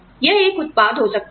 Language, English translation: Hindi, It could be a product